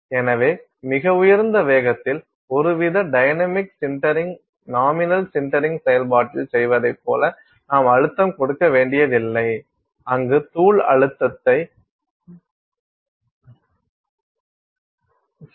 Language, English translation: Tamil, And so, some kind of dynamic sintering at very high velocities, it’s not only you do not have to put pressure like you would do in the nominal sintering process, where you take powder put pressure